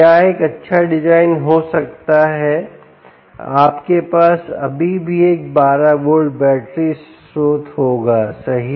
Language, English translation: Hindi, what may be a good design would be: you still have a twelve volt battery source, right